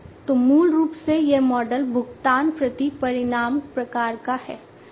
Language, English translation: Hindi, So, basically it is a pay per outcome kind of model paper outcome